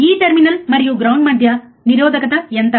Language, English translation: Telugu, What is the resistance between this terminal and ground, right